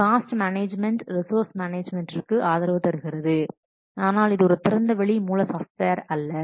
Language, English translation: Tamil, The resource management is also supported through Microsoft project but this is not an open source software